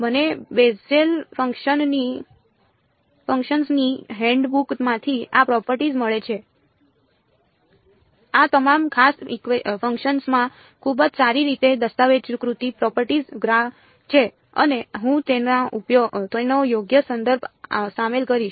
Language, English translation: Gujarati, I get these properties from the handbook of Bessel functions this is extensively documented all these special functions have very well documented properties graphs and all I will include a reference to it right